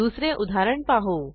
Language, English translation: Marathi, Lets us see an another example